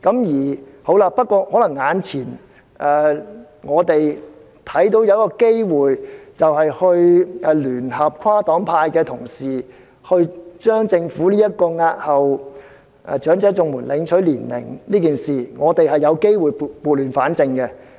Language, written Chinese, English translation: Cantonese, 現在眼前看到有一個機會，可聯合跨黨派的同事，就政府押後長者綜援領取年齡一事，撥亂反正。, Now we see an opportunity right before us . Honourable colleagues of different political affiliations can join hands to set things right in respect of the Governments extension of the eligibility age for elderly CSSA